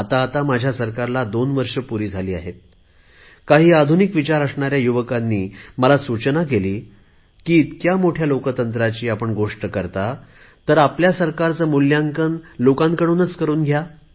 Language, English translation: Marathi, Recently, when my government completed two years of functioning, some young people of modern thinking suggested, "When you talk such big things about democracy, then why don't you get your government rated by the people also